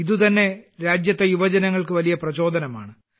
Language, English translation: Malayalam, This in itself is a great inspiration for the youth of the country